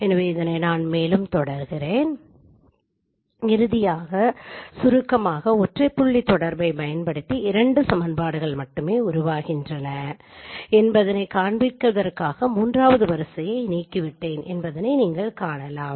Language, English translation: Tamil, Finally as you can see I have eliminated the third row just to show that there are only two equations which are formed by using a single point correspondence